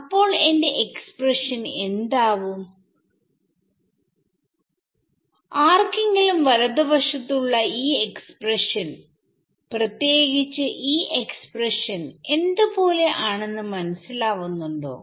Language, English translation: Malayalam, Does anyone recognize what this expression on the right looks like particularly this expression